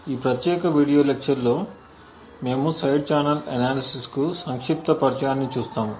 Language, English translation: Telugu, In this particular video lecture we will be looking at a brief introduction to Side Channel Analysis